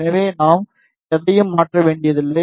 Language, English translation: Tamil, So, we need not to change anything